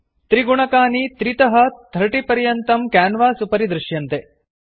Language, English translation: Sanskrit, Multiples of 3 from 3 to 30 are displayed on the canvas